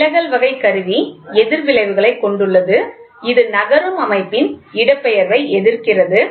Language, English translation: Tamil, The deflection type instrument has opposite effects which opposes the displacement of a moving system